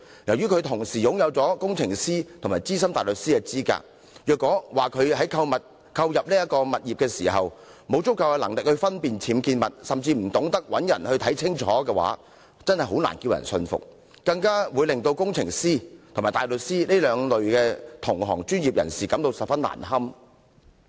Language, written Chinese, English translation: Cantonese, 由於她同時擁有工程師及資深大律師的資格，所以如果說她在購入物業時沒有足夠能力分辨僭建物，甚至不懂找人查證，實在叫人難以信服，亦令工程師及大律師這兩類專業人士感到十分難堪。, Given that she is both a qualified engineer and Senior Counsel it would be unconvincing to say that she did not have the ability to identify UBWs or did not know that she could find someone to carry out inspection when she purchased the property . What is more she has put the two professionals namely engineer and barrister in a very embarrassing situation